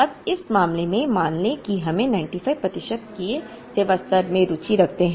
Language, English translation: Hindi, Now, in this case let us assume that we are interested in a service level of 95 percent